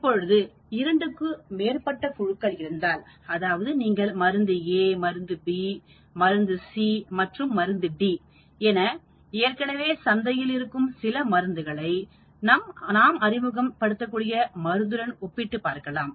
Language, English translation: Tamil, If we have more than 2 groups, of course if you may be testing drug A, drug B, drug C, drug D, drugs which are existing already in market, drugs which you are introducing control